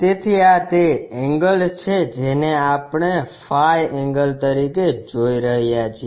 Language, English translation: Gujarati, So, this is the angle what we are seeing as phi angle